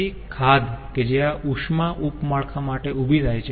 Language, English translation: Gujarati, so the deficit what this heat sub network will have